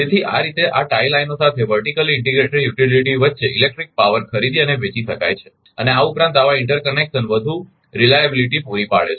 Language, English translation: Gujarati, So, thus electric power can be bought and sold between vertically integrated utilities along these tie lines and moreover such interconnection provide greater reliability right